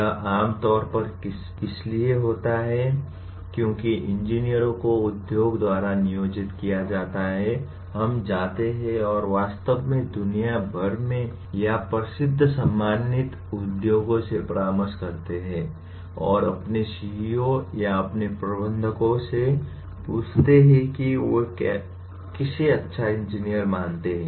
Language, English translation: Hindi, It is generally because engineers dominantly are employed by industries and we go and consult really the top worldwide or well known respected industries and ask their CEO’s or their managers to say whom do they consider somebody as good engineer